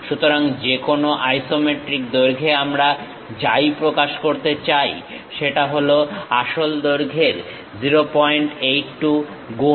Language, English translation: Bengali, So, any isometric length whatever we are going to represent, that will be 0